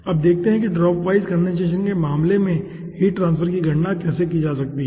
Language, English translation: Hindi, we will be predicting the heat transfer coefficient in dropwise condensation